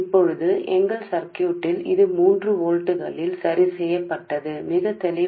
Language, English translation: Telugu, Now, in our circuit this is fixed at 3 volts